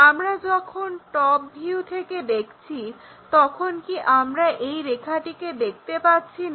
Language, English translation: Bengali, This line is not visible when we are looking from top view and that is this line